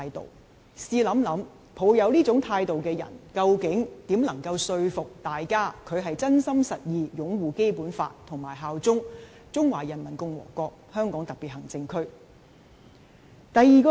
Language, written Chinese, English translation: Cantonese, 大家試想想，抱持這種態度的人，如何能說服大家他是真心實意擁護《基本法》及效忠中華人民共和國香港特別行政區呢？, Let us imagine how can a person holding such an attitude convince people that he sincerely and genuinely upholds the Basic Law and swears allegiance to HKSAR of the Peoples Republic of China?